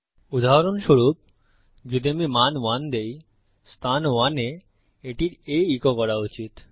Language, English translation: Bengali, For example, if I give the value 1, it should echo out A in position 1